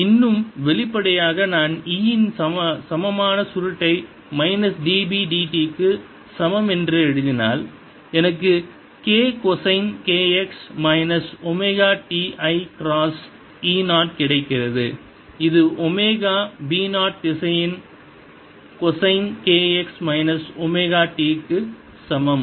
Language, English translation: Tamil, similarly, minus d b by d t is going to be equal to b zero vector d by d t of sine k x minus omega t, with a minus sign in front, and this is going to become then plus omega b zero vector cosine of k x minus omega t